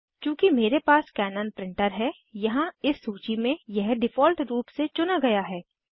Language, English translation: Hindi, Since, I have a Canon Printer, here in this list, it is selected by default